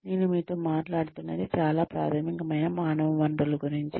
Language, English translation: Telugu, What I am talking to you, is very very, basic human resources stuff